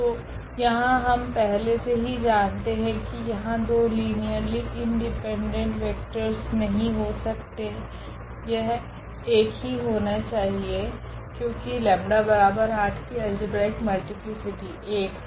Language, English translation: Hindi, So, here we know though beforehand that this there will be there cannot be two linearly independent vectors, it has to be only one because the algebraic multiplicity of this lambda is equal to 8 is 1